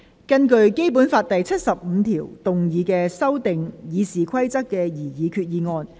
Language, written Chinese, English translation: Cantonese, 根據《基本法》第七十五條動議修訂《議事規則》的擬議決議案。, Proposed resolution under Article 75 of the Basic Law to amend the Rules of Procedure